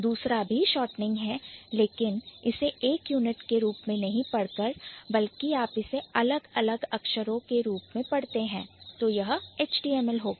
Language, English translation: Hindi, The second one is also shortening it but you are not reading it as a unit, rather you are reading it as distinct letters